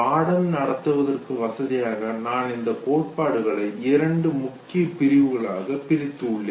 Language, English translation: Tamil, For convenience, what I have done is, that I am dividing these theories into two major segments